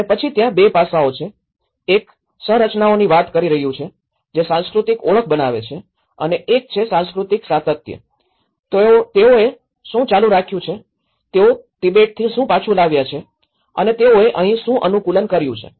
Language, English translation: Gujarati, And then there are 2 aspects; one is taking the structures that create cultural identity and one is the cultural continuity, what they have continued, what they have brought back from Tibet and what they have adapted here